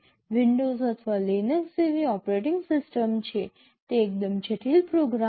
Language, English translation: Gujarati, There is an operating system like Windows or Linux, they are fairly complicated program